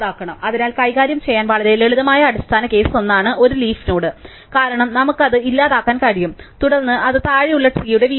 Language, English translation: Malayalam, So, the basic case that is very simple to handle is one the node is a leaf node, because then we can just delete it and then it is just falls of the tree at the bottom